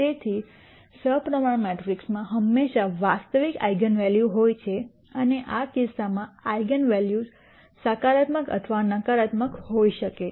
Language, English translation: Gujarati, So, symmetric matrices always have real eigenvalues and the eigenvalues could be positive or negative in this case